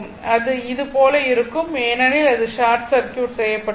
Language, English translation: Tamil, So, this is not there because it is short circuited